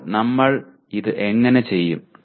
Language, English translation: Malayalam, Now how do we do this